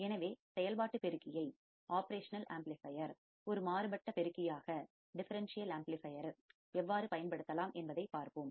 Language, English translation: Tamil, So, let us see how the operational amplifier can be used as a differential amplifier